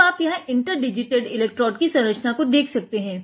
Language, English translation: Hindi, Now, you can see the interdigitated electrode structure here